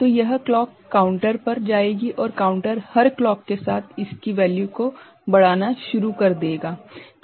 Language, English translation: Hindi, So, this clock will go to the counter and counter will start you know increasing its value with every clocking ok